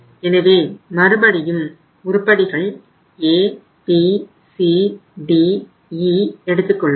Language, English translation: Tamil, So again we have the items here that is A, B, then it is C, it is D and it is E